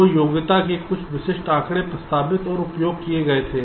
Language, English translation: Hindi, so some typical figure of merits were ah proposed and used